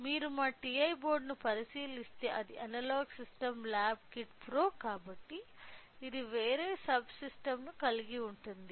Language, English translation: Telugu, So, if you look into our TA board it is it is analogue system lab kit pro so; it contains a different sub systems